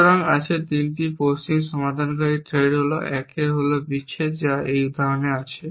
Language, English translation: Bengali, So, there are 3 west of resolver threat 1 is separation which in this example